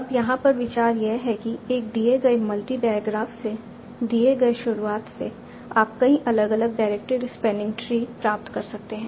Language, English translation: Hindi, Now the idea here is for a given, starting from a given multi diograph, you can obtain a number of different directed sparing trees